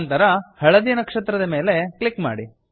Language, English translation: Kannada, Click on the yellow star